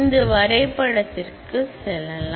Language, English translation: Tamil, So, I will take you to this diagram